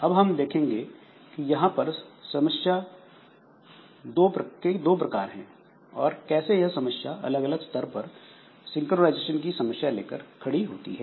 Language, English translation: Hindi, So, we will see that there are two variants of this problem and each of them gives rise to different levels of synchronization problems